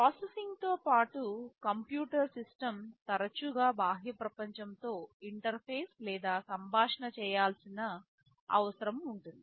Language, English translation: Telugu, In addition to processing, the computer system often needs to interface or communicate with the outside world